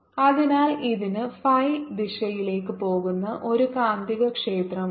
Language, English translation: Malayalam, so this has a magnetic field going in the phi direction